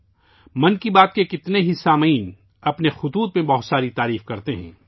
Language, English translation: Urdu, Many listeners of 'Mann Ki Baat' shower praises in their letters